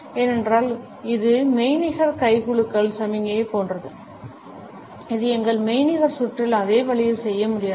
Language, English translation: Tamil, And it is simply, because it is almost like a signal of the virtual handshake which is something that, we cannot do in a same way in our virtual round